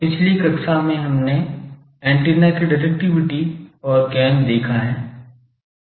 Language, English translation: Hindi, In the last class we have seen directivity and gain of an antenna